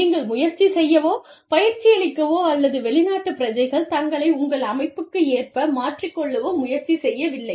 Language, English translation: Tamil, And, you do not try and train, or, have the foreign country nationals, adapt themselves, to your organization